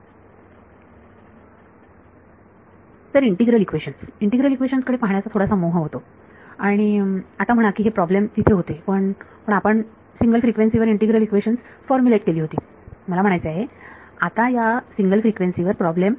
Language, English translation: Marathi, So, integral equations so, its slight its tempting to look at integral equations and say now this problems were there, but integral equations we formulated at a single frequency yeah at a single frequency this problem I mean now